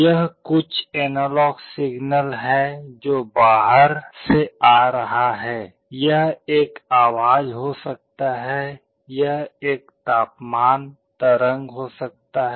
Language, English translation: Hindi, There is some analog signal which is coming from outside, this can be a voice, this can be a temperature waveform